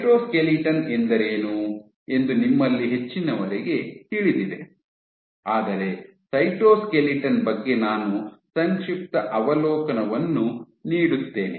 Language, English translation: Kannada, So, for the cyto, you most of you know what is cytoskeleton is, but I still thought of giving a brief overview of the cytoskeleton